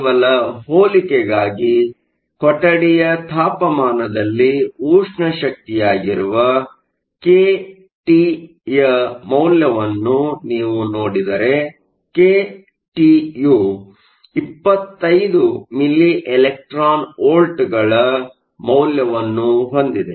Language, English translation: Kannada, Just for comparison, if you look at the value of kT, which is a thermal energy at room temperature, kT has a value of 25 milli electron volts